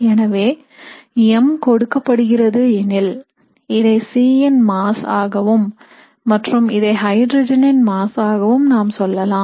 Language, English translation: Tamil, So mr is given by so let us say this is the mass of C and this is the mass of hydrogen